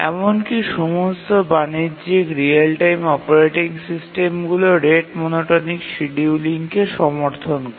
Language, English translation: Bengali, Even all commercial real time operating systems do support rate monotonic scheduling